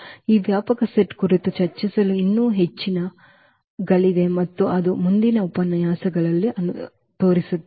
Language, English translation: Kannada, So, there is a lot more to discuss on this spanning set and that will follow in the next lectures